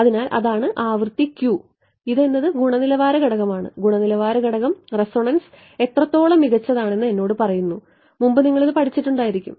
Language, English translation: Malayalam, So, that is the frequency and the Q the quality factor right that tells me if you have studied this before the quality tells me how good the resonance is